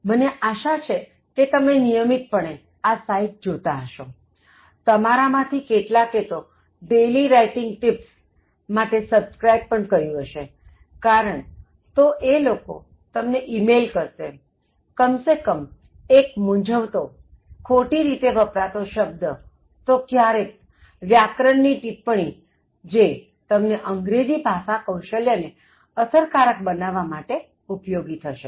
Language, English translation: Gujarati, I hope you are making a regular visit to these sites and I hope some of you have subscribed to daily writing tips, because they will email you, if you have subscribed each day at least one confused, misused pair of words or sometimes they will email you about grammar tips, which will help you develop your communication in terms of English language skills in a very effective manner